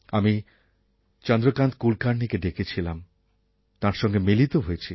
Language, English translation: Bengali, While thinking of Chandrkant Kulkarni, let us also follow him